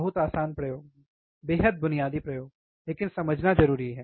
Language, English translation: Hindi, Very easy experiment, extremely basic experiment, but important to understand